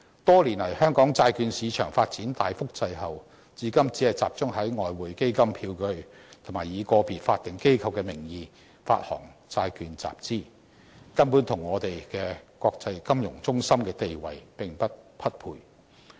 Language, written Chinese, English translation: Cantonese, 多年來，香港債券市場發展大幅滯後，至今只集中在外匯基金票據或以個別法定機構的名義發行債券集資，根本與我們國際金融中心的地位並不匹配。, The development of bond market in Hong Kong has been sluggish for years with a concentration in Exchange Fund Bills or bonds issued in the name of individual statutory bodies to raise funds . Its development is definitely incompatible with our status as an international financial hub